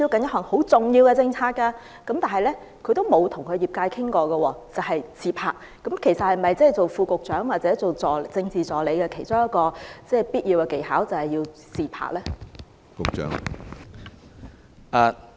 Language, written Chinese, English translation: Cantonese, 不過，這位副局長未曾與業界溝通，只顧"自拍"，究竟"自拍"是否擔任副局長或政治助理的其中一項必要技能？, However this Under Secretary just took selfies without communicating with the industry . Is taking selfies one of the essential skills of Under Secretaries or Political Assistants?